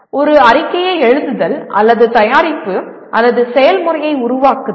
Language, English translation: Tamil, Writing a report and or developing a product or process